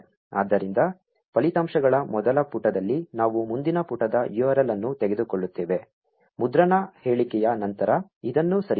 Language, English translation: Kannada, So, we pick up the next page URL in the first page of the results; let us move this after the print statement